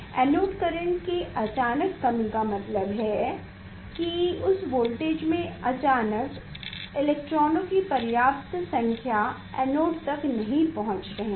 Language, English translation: Hindi, Sudden drop of the anode current means the at that voltage this suddenly electrons sufficient number of electrons are not reaching to the are not reaching to the anode